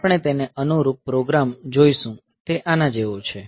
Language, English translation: Gujarati, So, we will look into the corresponding program, so it is like this